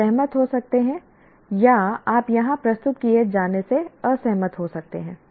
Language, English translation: Hindi, You may agree or may not, you may disagree with what is presented here